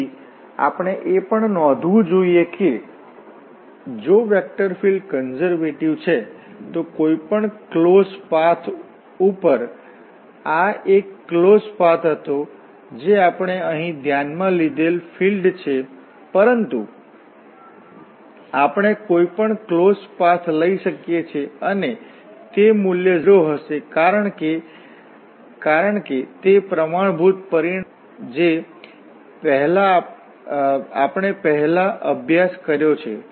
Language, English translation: Gujarati, So one should also note that if the vector field is conservative then along any closed path, this was one of the close path we have considered here, but we can take any other closed path also and that value will be 0 because that standard result which we have studied before